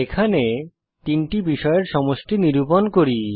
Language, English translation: Bengali, Here we calculate the total of three subjects